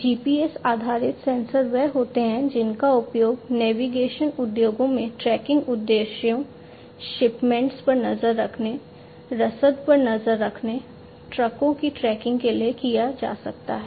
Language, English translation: Hindi, GPS based sensors are the ones that can be used in the navigation industry for tracking purposes, tracking of shipments, tracking of logistics, tracking of trucks, and so on